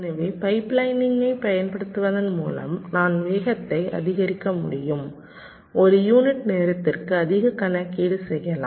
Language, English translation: Tamil, so by using pipe lining we can have speed up, we can have more computation per unit time